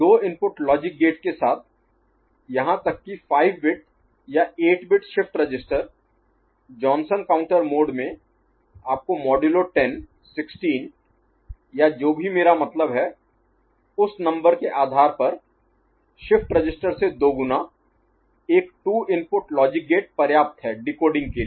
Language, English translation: Hindi, With a two input logic gate, even for 5 bit or 8 bit shift register working in Johnson counter mode giving you modulo 10, 16 or whatever I mean depending on that number twice the shift register siz,e a 2 input logic gate is sufficient for decoding, ok